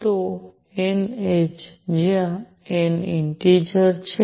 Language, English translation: Gujarati, So, n h, where n is an integer